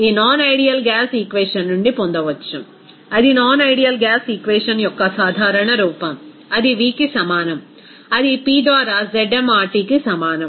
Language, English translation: Telugu, That can be obtained from this non ideal gas equation, that is general form of that non ideal gas equation, that will be is equal to v that will be is equal to ZmRT by P